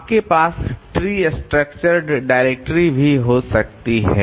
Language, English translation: Hindi, You can have a tree structure directory also